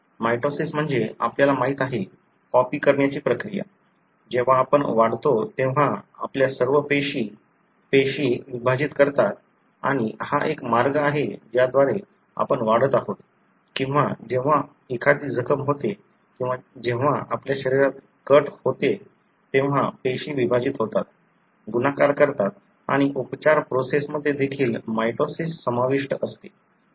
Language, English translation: Marathi, Mitosis is the, you know, copying process; all our cells when we grow, you know, cells divide and that is one of the way by which we are growing or when there is a wound or when there is a cut in your body, cells divide, multiply and the healing process also involves mitosis